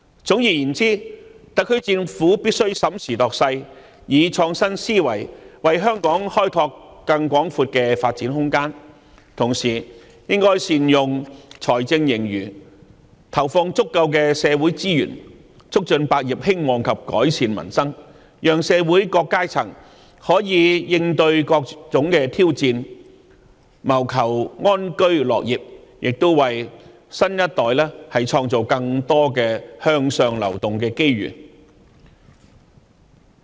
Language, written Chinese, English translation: Cantonese, 總而言之，特區政府必須審時度勢，以創新思維為香港開拓更廣闊的發展空間，同時亦應善用財政盈餘，投放足夠的社會資源，促進百業興旺及改善民生，讓社會各階層可以應對各種挑戰，謀求安居樂業，亦為新一代創造更多向上流動的機遇。, All in all the SAR Government must take stock of the prevailing circumstances and adopt an innovative mindset to create for Hong Kong greater room for development . In the meantime it should effectively utilize the fiscal surplus by injecting adequate resources into society and facilitating the growth of various trades and industries and improvement of the peoples livelihood so that the various strata in society can cope with different kinds of challenges and live in peace and work with contentment and this can also create more opportunities of upward movement for the new generation